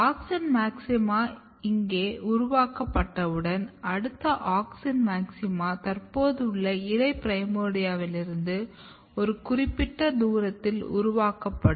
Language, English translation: Tamil, And the one auxin maxima is generated here, the next auxin maxima will be generated at a particular distance from the existing leaf primordia